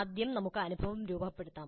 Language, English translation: Malayalam, First let us look at framing the experience